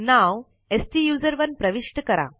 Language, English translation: Marathi, Enter the Name as STUSERONE